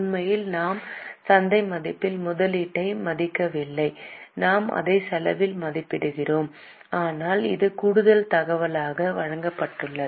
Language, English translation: Tamil, Actually, we do not value the investment at market value, we value it at cost, but it is just given as an extra information